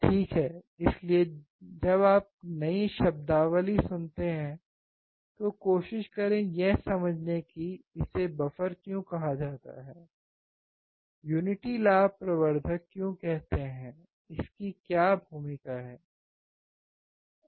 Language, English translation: Hindi, Right, so, when you listen to new terminologies, try to understand why it is called buffer, why unity gain amplifier, what is the role